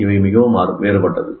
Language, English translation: Tamil, That is very different